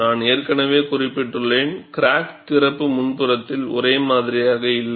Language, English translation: Tamil, See, I have already mentioned, the crack opening is not uniform along the front